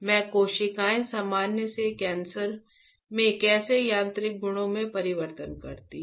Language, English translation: Hindi, How these cells from a normal to cancer the mechanical properties changes